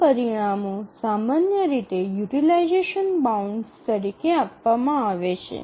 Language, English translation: Gujarati, Those results are typically given as utilization bounds